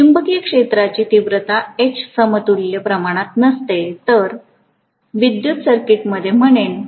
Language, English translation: Marathi, Whereas the magnetic field intensity H does not have an equivalent quantity I would say in the electrical circuit